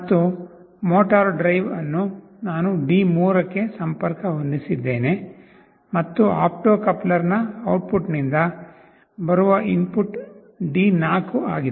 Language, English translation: Kannada, And for motor drive, I have connected to D3, and D4 is the input that is coming from the output of the opto coupler